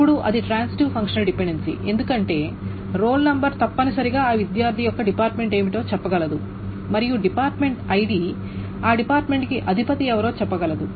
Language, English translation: Telugu, Now this is a transitive functional dependency because the role number essentially can say what is the department of that student and the department ID can say who is the head of the department of that department